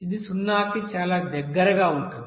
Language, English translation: Telugu, So it is very near about to 0